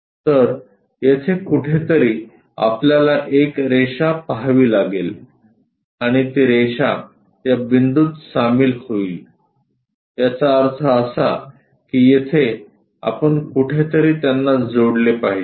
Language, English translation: Marathi, So, somewhere here we have to see a line and that line joins at this points; that means, here somewhere we are supposed to join that